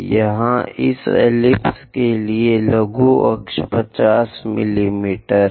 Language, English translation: Hindi, Here example is minor axis 50 mm